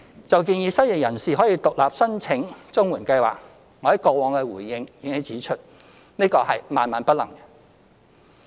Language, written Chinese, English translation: Cantonese, 就建議失業人士可獨立申請綜援計劃，我在過往的回應已指出，這是萬萬不能的。, On the proposal of allowing the unemployed to apply for CSSA on an individual basis as I said before in my past replies this proposal should never be implemented